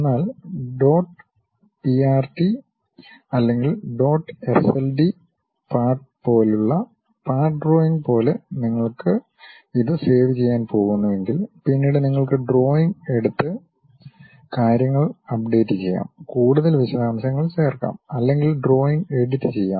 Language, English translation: Malayalam, You can always save it at different versions also like you have different kind of formats JPEG you can save it and so on, but if you are going to save it like part drawing like dot prt or dot sld part, later you can really invoke the drawing and update the things, add further more details or edit the drawing also we can do